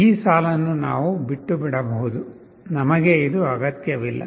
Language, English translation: Kannada, This line you can omit we do not need this